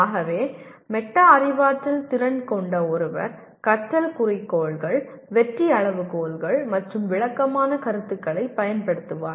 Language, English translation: Tamil, So that is what a person with metacognitive ability will use learning goals, success criteria, and descriptive feedback